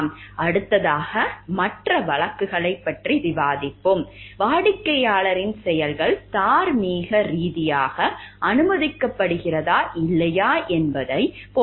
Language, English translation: Tamil, In the next we will discuss other cases about; like the whether the actions of client a is morally permissible or not